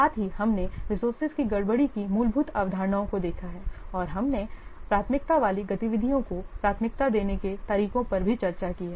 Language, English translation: Hindi, Also we have seen the fundamental concepts of resource classes and we have also discussed the methods for prioritizing the different activities